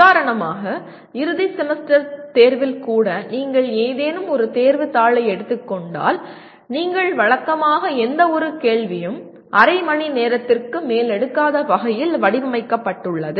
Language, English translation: Tamil, For example if you take any examination paper even in the end semester examination, you normally, it is designed in such a way no question should take more than half an hour